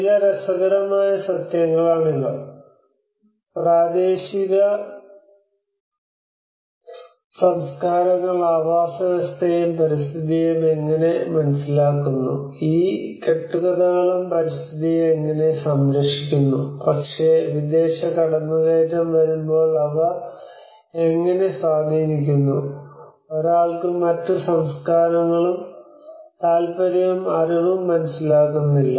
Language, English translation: Malayalam, So these are some of the interesting facts that how local cultures understand the ecosystem and the environment, how these myths also protect the environment but when the foreign intrusions comes, how they get impacted, and one do not understand the other cultures interest and knowledge